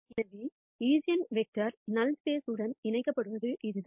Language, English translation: Tamil, So, this is how eigenvectors are connected to null space